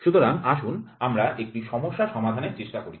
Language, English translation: Bengali, So, let us try to solve a problem